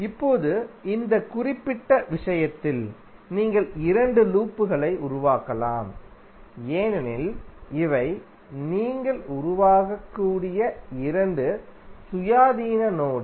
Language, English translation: Tamil, Now, in this particular case you can create two loops because these are the two independent mesh which you can create